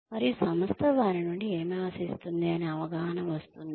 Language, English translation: Telugu, And understanding, what the organization expects from them